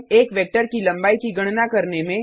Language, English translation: Hindi, Calculate length of a vector